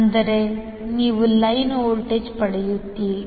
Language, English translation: Kannada, That means you will get the line voltage